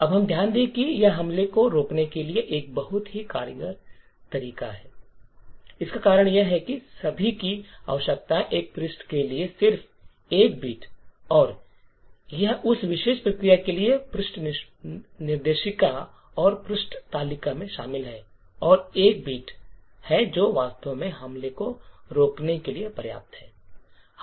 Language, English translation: Hindi, Now we would note that this is a very efficient way to prevent the attack, the reason is that all that is required is just 1 bit for a page and this bit incorporated in the page directory and page table for that particular process and it is just that single bit which is sufficient to actually prevent the attack